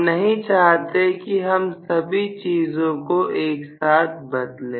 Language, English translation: Hindi, We do not to vary all 3 things at a time